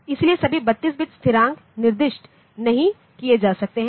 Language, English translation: Hindi, So, all 32 bit constants cannot be specified